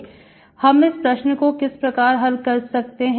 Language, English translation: Hindi, So how do I solve this